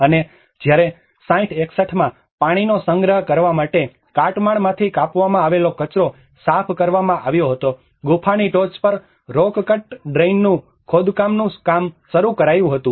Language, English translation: Gujarati, And whereas in 60 61 a rock cut cistern was cleared of debris for the storage of water and the excavation of rock cut drain on the top of the cave was started the work